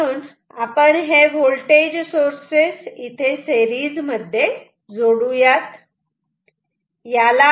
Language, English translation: Marathi, So, you can use two voltage sources like this